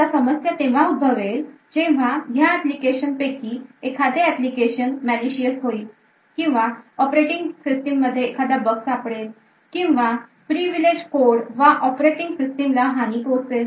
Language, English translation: Marathi, Now problem occurs when one of these applications becomes malicious and finds a bug in the operation system or the privileged code and has compromised the operating system